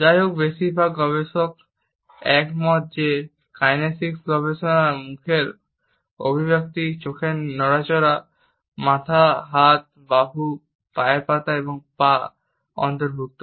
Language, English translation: Bengali, However, most of the researchers agree that the study of kinesics include facial expressions, movement of eyes, head, hand, arms, feet and legs